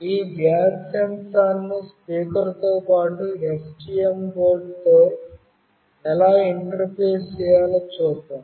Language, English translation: Telugu, Let us see how do I interface this gas sensor along with the speaker and with a STM board